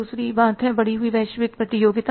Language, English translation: Hindi, Second thing is an increased global competition